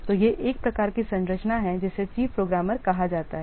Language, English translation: Hindi, So, this is one type of structure called as chief programmer